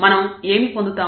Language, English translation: Telugu, And what do we get